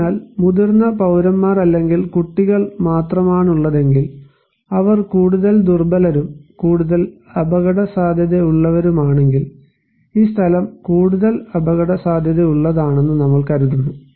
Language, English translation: Malayalam, So, if there are only senior citizens or maybe only children are there, only kids so, of course they are more vulnerable, more exposed and more at risk, this place we consider to be more risky